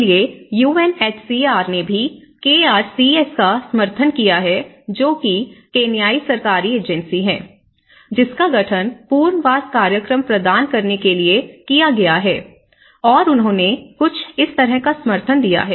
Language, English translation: Hindi, So, UNHCR have also supported that the KRCS which is the Kenyan Government Agency, which has been constituted to provide the resettlement program and they have given some kind of support